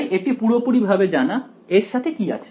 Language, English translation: Bengali, So, this is fully known what is accompanying it